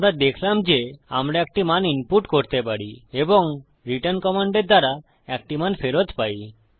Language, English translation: Bengali, We saw that we can input a value and then returned a value echoing out using a return command